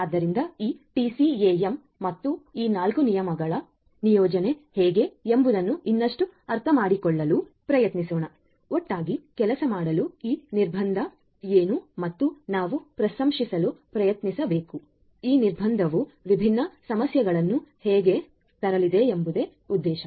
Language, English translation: Kannada, So, let us now try to understand further how this TCAM and this 4 rule placement is going to work together what is this constant all about and we have to try to appreciate how this constant is going to bring in these different different issues which will have to be addressed